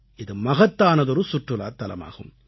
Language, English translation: Tamil, It is a very important tourist destination